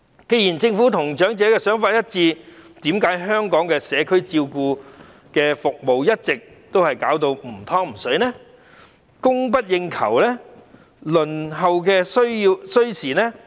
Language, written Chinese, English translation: Cantonese, 既然政府與長者的想法一致，為何香港的社區照顧服務一直是"唔湯唔水"、供不應求，以及輪候時間甚長呢？, Given that the Government and the elderly think alike how come our community care services have always been neither fish nor fowl and have been plagued with the problems of short supply and very long waiting time?